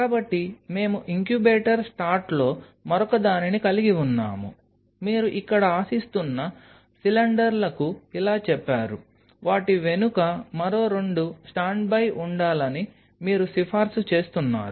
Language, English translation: Telugu, So, we have another in incubator stat on top of it you have said to cylinders hoped up here like this all recommend you have two more stand by behind them